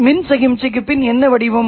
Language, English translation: Tamil, What form of electrical signal